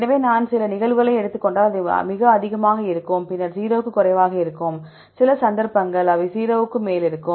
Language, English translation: Tamil, So, if we take some cases, it is very high, then will be less than 0, and some cases they are above 0